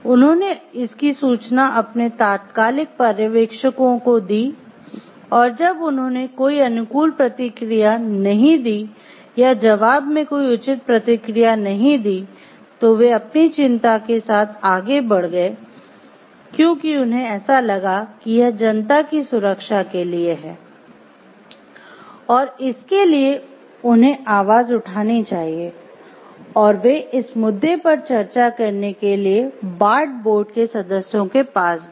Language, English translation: Hindi, They reported it to their immediate supervisors, and when they did not respond maybe favorably or in their give a proper response to it, then they moved on with their concern because felt like it is for the publics will safety at large and they should voice their concerns they moved up to the like a permit management, and dealt with discuss this issues with the Bart board members